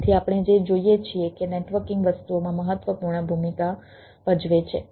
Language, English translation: Gujarati, so what we see, that networking plays a important role into the things